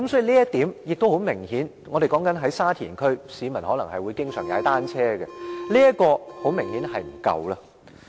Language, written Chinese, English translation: Cantonese, 再者，我們所說的是沙田區，市民會經常到那裏踏單車，所以這方面明顯是不足夠。, Moreover we are talking about Sha Tin a district where the public will often go cycling so the number of bicycle parking spaces is obviously insufficient